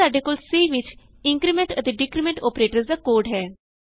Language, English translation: Punjabi, Here, we have the code for increment and decrement operators in C